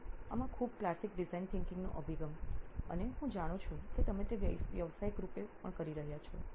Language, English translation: Gujarati, So very classic design thinking sort of approach in this and I know you are also doing it professionally now